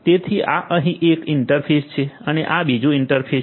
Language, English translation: Gujarati, So, this is one interface over here and this is another interface